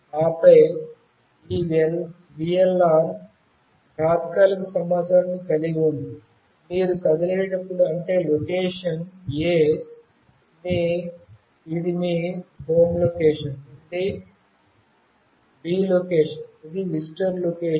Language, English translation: Telugu, And then this VLR contains temporary information, when you move let us say from location A, which is your home location to location B, which is the visitor location